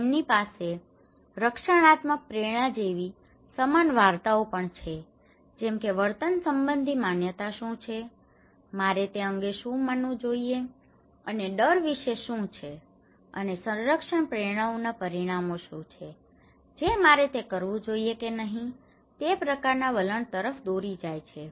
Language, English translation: Gujarati, They have also similar stories like protection motivations like what are the behavioural beliefs what I believe about and about the fear and what are the outcomes of the protection motivations that leads to kind of attitude whether I should do it or not